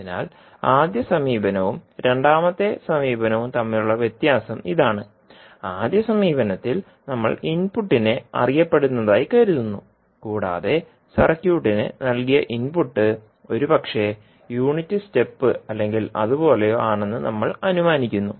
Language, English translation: Malayalam, So, the difference between first approach and second approach is that – in first approach we assume input as known and we take some assumption that the input given to the circuit is maybe unit step or something like that